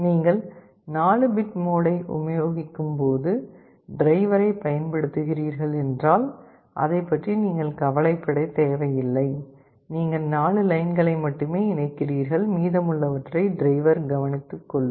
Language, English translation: Tamil, If you are using a driver that supports 4 bit mode, you need not have to worry about it, you connect to only 4 lines and the driver will take care of the rest